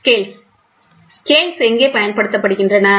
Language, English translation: Tamil, Scales, where are the scales used